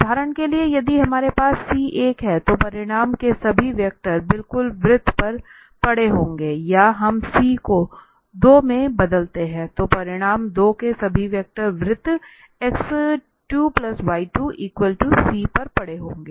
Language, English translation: Hindi, So if we have one, for example, c is one, then all the vectors of magnitude one will lie exactly on the circle, or we change the c to 2 for instance, then all the vectors of magnitude 2 will lie on the circle x square plus y square is equal to 2